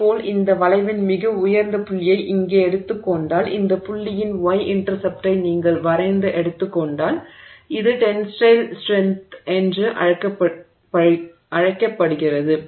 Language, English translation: Tamil, And similarly if you take the topmost point of this curve here, top most point of this curve here and you draw the take the y intercept of this curve, this point